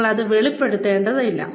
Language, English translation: Malayalam, You do not have to declare it